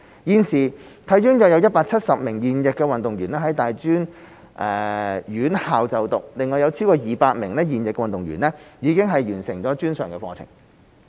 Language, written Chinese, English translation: Cantonese, 現時體院有約170名現役運動員在大專院校就讀，另有超過200名現役運動員已完成專上課程。, Currently about 170 active HKSI athletes are studying in tertiary institutions and more than 200 other active athletes have already completed post - secondary programmes